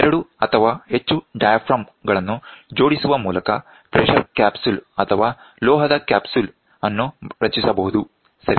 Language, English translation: Kannada, The pressure capsule or the metal capsule can be formed by joining two or more diaphragms, ok